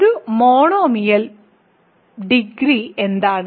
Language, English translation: Malayalam, And what is the degree a monomial